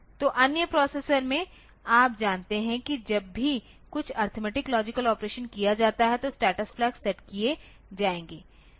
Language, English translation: Hindi, So, in other processors you know that whenever some arithmetic operation arithmetic logic operation is done the status flags will be set